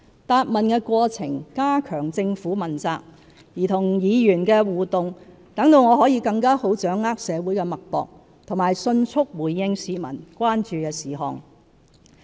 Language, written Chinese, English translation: Cantonese, 答問的過程加強政府問責，而與議員的互動則讓我更好掌握社會脈搏和迅速回應市民關注的事項。, The QA sessions strengthen accountability while interaction with Members allows me to better feel the pulses of society and promptly respond to issues of public concern